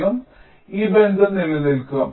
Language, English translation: Malayalam, so this relationship will hold